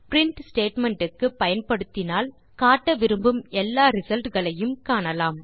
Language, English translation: Tamil, We have to use print statement to display all the results we want to be displayed